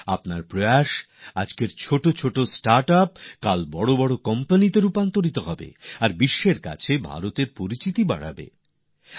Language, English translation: Bengali, Your efforts as today's small startups will transform into big companies tomorrow and become mark of India in the world